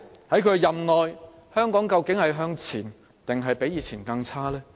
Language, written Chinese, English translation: Cantonese, 在她任內，香港會向前還是較以往更差呢？, During her term of office will Hong Kong move forward or fare even worse than before?